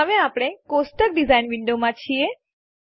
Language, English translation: Gujarati, Now we are in the table design window